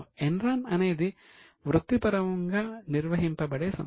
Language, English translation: Telugu, In Inron there is a professionally managed company